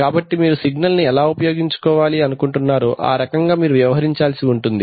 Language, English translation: Telugu, So depending on the usage of the signal you have to deal with it